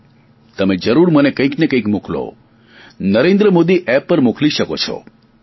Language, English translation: Gujarati, Do send me something, either on 'Narendra Modi app' or on MYGOV